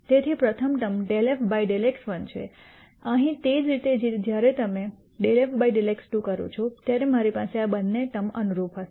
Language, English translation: Gujarati, So, the rst term is dou f dou x 1 here similarly when you do dou f dou x 2, I will have a term corresponding to this two